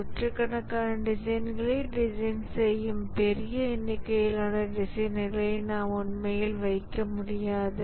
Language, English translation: Tamil, We cannot really put large number of designers, hundreds of designers designing it